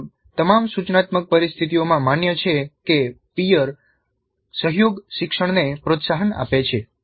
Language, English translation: Gujarati, This has been recognized in almost all the instructional situations that peer collaboration promotes learning